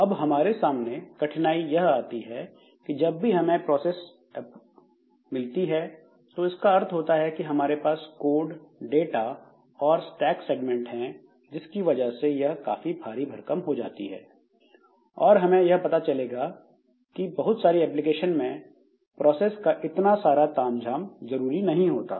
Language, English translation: Hindi, Now the difficulty with this type of situation is that whenever we have got a process means we have got this code data and stack segments, but that often becomes too heavy and we'll see that in different applications so that much distinction between these processes is not necessary